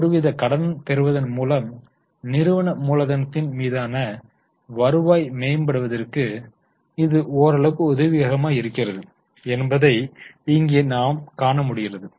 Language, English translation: Tamil, Now you can see here that company has somewhat been able to improve their return on capital by going for some level of debt